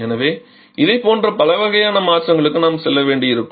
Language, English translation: Tamil, And therefore we may have to for several kind of modification just like this one